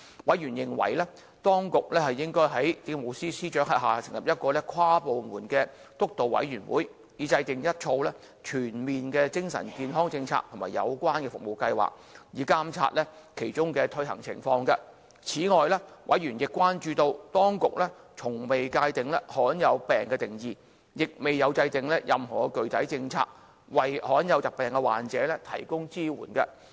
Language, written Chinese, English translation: Cantonese, 委員認為，當局應在政務司司長轄下成立一個跨部門督導委員會，以制訂一套全面的精神健康政策和有關的服務計劃，並監察其推行情況。此外，委員亦關注到，當局從未界定罕見病的定義，亦未有制訂任何具體政策，為罕見疾病患者提供支援。, Members considered that the Administration should establish an interdepartmental steering committee under the steer of Chief Secretary for Administration for the formulation and monitoring the implementation of a comprehensive mental health policy and relevant service plans Furthermore members also concerned that the Government had not established any official definition of rare diseases nor had it set out any specific policy on provision of support for rare disease patients